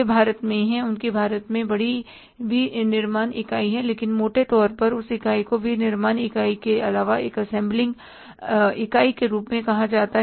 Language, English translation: Hindi, They are into India, they have the bigger, say, manufacturing unit in India, but largely that unit is called as a assembling unit, not the manufacturing unit